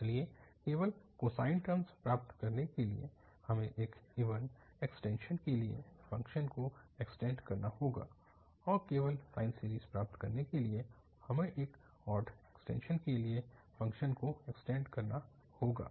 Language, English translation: Hindi, So, to get only the cosine terms, we have to extend the function to have an even extension or to have an odd extension, so that we get only the cosine or the sine series